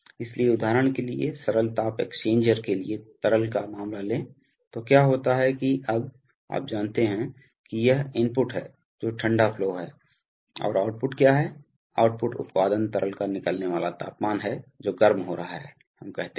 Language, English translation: Hindi, So, for example, take the case of a liquid to liquid heat exchanger, so what happens is that now, you know this is the input, which is the cooling flow and what is the output, the output is the outgoing temperature of the liquid which is being heated, let us say